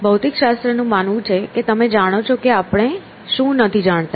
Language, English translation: Gujarati, So, the physics is believe that that you know we do not know what the